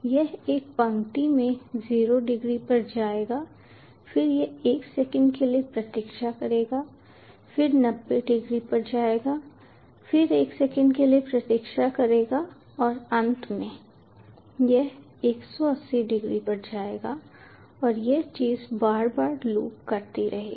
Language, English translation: Hindi, then it will wait for one second, then will go to ninety degrees, then wait for one second and finally it will go to one eighty degrees and this thing will keep on looping over and over again